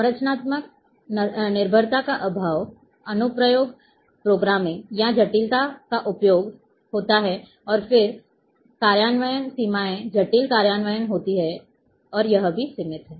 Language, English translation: Hindi, Lack of structural dependence, application programming, and use complexity are there and then implementations limitations are there complex implementation and that too is limited